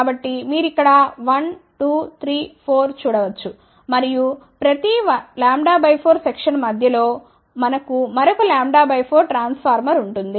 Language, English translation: Telugu, So, you can see here 1 2 3 4 and in between each lambda by 4 section, we have another lambda by 4 transformer in between ok